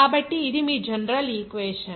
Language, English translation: Telugu, So, this is your general equation